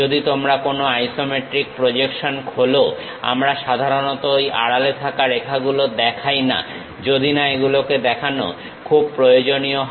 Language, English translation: Bengali, If you are opening any isometric projections; we usually do not show those hidden lines, unless it is very important to show